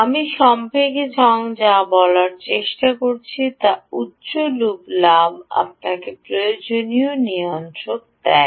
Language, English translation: Bengali, what i am a trying to say in summary is: the high loop gain gives you the required regulation